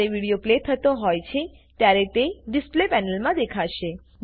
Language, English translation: Gujarati, When the video is being played, it will be visible in the Display panel